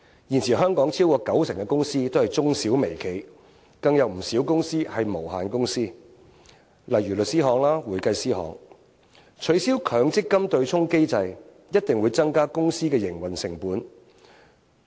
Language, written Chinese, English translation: Cantonese, 現時香港超過九成公司都是中小微企，更有不少公司是無限公司，例如律師樓及會計師樓，取消強積金對沖機制一定增加公司營運成本。, At present over 90 % of companies in Hong Kong are micro small and medium enterprises and many of them are unlimited companies such as law firms and accounting firms . Abolishing the MPF offsetting mechanism will certainly increase the commercial sectors operation costs